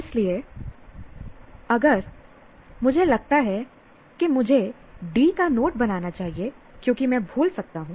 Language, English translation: Hindi, So if I sense I should make a note of D because I may forget